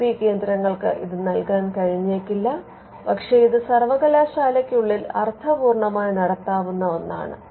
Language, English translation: Malayalam, IP centres may not be able to provide this, but this is again something in within a university set up it could make sense